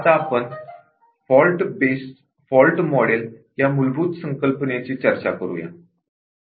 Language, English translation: Marathi, Now, another basic concept that we want to discuss is a Fault Model